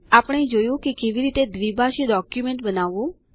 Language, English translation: Gujarati, We have seen how to type a bilingual document